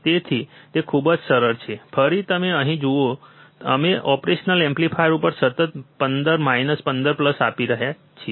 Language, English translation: Gujarati, So, it is very easy again you see here we are constantly applying plus 15 minus 15 to the operational amplifier